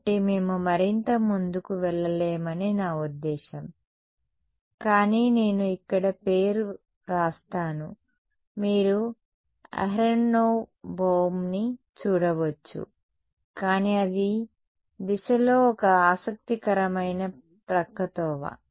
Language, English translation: Telugu, So, I mean we will not go further, but I will write the name over here you can look it up aronov Bohm so, but that is an interesting detour along the direction